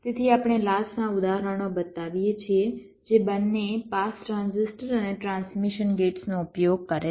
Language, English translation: Gujarati, ok, so we show examples of latches that use both pass transistors and also transmission gates